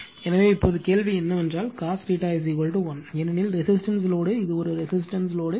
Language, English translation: Tamil, So, now question is that cos theta is equal to unity, because resistive load right it is a resistive load